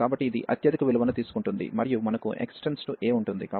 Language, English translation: Telugu, So, it will take the highest value, and we have then x will approach to this a